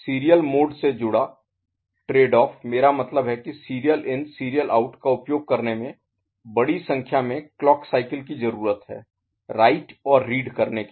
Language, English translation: Hindi, The trade off associated with serial mode is, I mean using serial in serial out is larger number of like clock cycles required to complete write and read operation ok